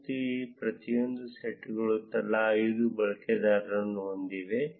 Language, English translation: Kannada, And each of these sets has 5 users each